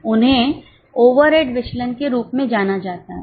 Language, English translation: Hindi, They are known as overhead variances